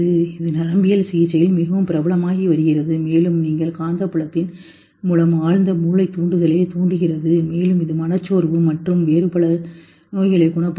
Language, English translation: Tamil, It is becoming very popular in treatment with neurology and all that you stimulate the, do a deep brain stimulation through magnetic field and that cures you of depression and some other illnesses